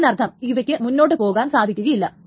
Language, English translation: Malayalam, That means that this cannot go through